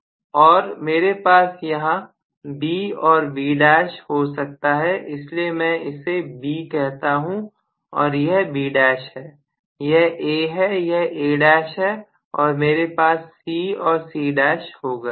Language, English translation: Hindi, And I may have B here and B dash here okay so I call this is B, this is B dash, this is A, this is A dash and I am going to have C and C dash right